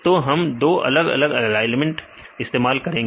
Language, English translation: Hindi, So, we use two different alignments